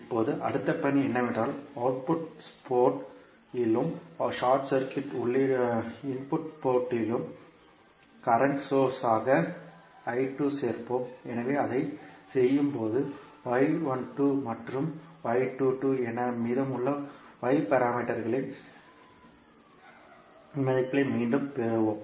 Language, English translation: Tamil, Now, next task is that we will add I 2 as a current source at output port and short circuit the input port, so when we will do that we will get again the values of remaining Y parameters that is y 12 and y 22